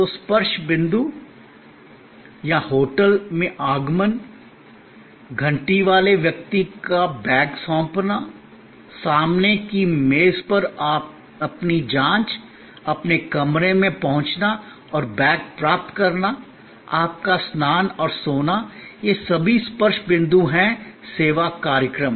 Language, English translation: Hindi, So, the touch points or arrival at the hotel, your handling over of the bags to the bell person, your checking in at the front desk, your accessing the room and receiving the bags, your shower and sleep, all of these are touch points service events